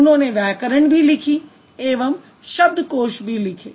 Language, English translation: Hindi, They also wrote grammars, they also wrote dictionaries